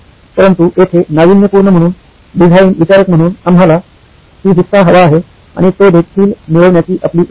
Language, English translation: Marathi, But here as innovators, as design thinkers, we are sort of want to have the cake and eat it too